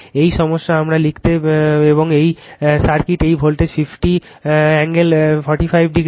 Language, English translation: Bengali, And this is the circuit, this is voltage 50 angle 45 degree